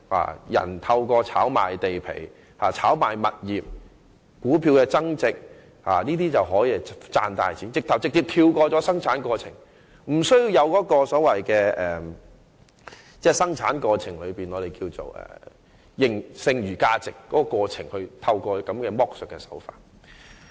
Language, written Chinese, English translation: Cantonese, 有人可透過炒賣地皮、物業或股票而賺大錢，此舉更可直接跳過生產過程，無須透過生產過程中的剩餘價值進行剝削。, Some people can make substantial profits by land property or stock speculation . Such acts can even directly jump over the production process and it is unnecessary to carry out exploitation by means of residual value in the production process to